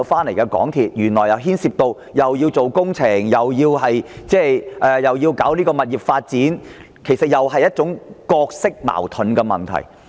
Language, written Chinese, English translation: Cantonese, 因為港鐵公司既要負責建造工程，也要處理物業發展事宜，當中存在角色矛盾的問題。, It is because MTRCL has a conflict of roles in that it is responsible for carrying out construction works and also property management